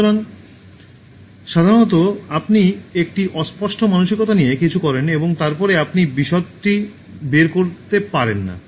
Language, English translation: Bengali, So, usually you just do something with a vague mindset and then you don’t figure out details